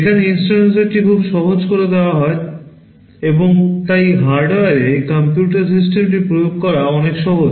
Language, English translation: Bengali, Here the instruction set is made very simple, and so it is much easier to implement the computer system in hardware